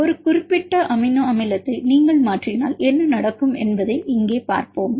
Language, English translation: Tamil, So, here now we will see what will happen if you mutate a specific amino acid residue protein